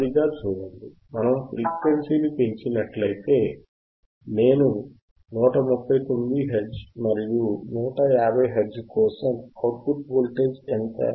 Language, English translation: Telugu, and y You see that slowly when we increase the frequency, I see 139 Hertz, stop it here 150 Hertz and for 150 Hertz, what is output voltage output voltage